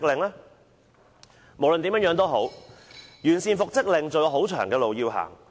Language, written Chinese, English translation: Cantonese, 無論如何，完善復職令安排還有很長的路要走。, In any case there is still a long way to go to perfect the arrangements for making an order for reinstatement